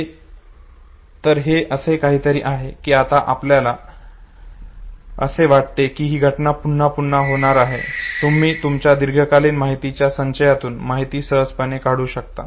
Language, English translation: Marathi, So it is something like that now you feel as if the event is about to be recollected, you can very easily know extract information from your long term storage